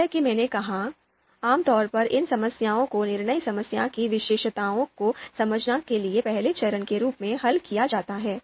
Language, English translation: Hindi, So as I said typically you know these problems are solved as a first step to understand the characteristic characteristics of the decision problem itself